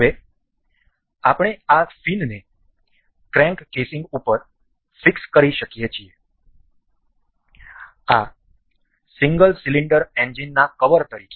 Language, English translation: Gujarati, Now, we can fix this fin over this crank casing as a covering for the single cylinder engine